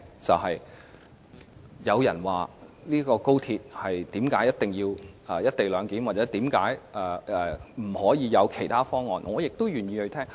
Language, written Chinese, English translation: Cantonese, 若有人解釋為甚麼高鐵一定要"一地兩檢"或為甚麼不能採用其他方案，我也願意聆聽這些意見。, I will also be willing to listen if people are going to explain why the co - location arrangement must be adopted or why the other alternatives cannot be adopted in the XRL project